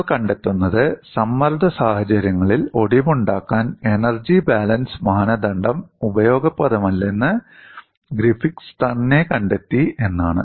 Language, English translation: Malayalam, And what you find is Griffith himself found that the energy balance criterion was not useful for fracture under combined stress conditions